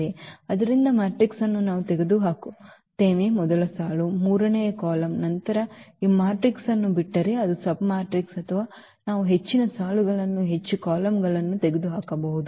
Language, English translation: Kannada, So, matrix is given we remove let us say first row, the third column then whatever left this matrix is a submatrix or we can remove more rows more columns